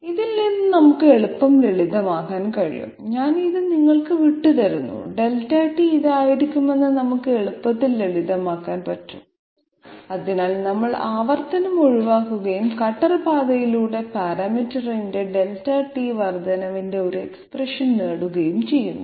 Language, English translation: Malayalam, From this one we can easily simplify, I am leaving this to you we can easily simplify that Delta t comes out to be this one, so we are avoiding iteration and getting an expression of Delta t increment of parameter along the cutter path in order to give acceptable forward step